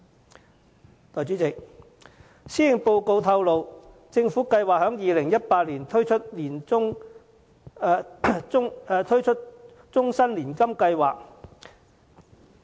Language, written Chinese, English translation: Cantonese, 代理主席，政府計劃在2018年推出終身年金計劃。, Deputy President the Government plans to introduce a life annuity scheme in 2018